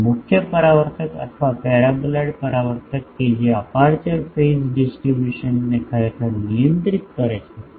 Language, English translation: Gujarati, And the main reflector or paraboloid reflector that actually controls the aperture phase distribution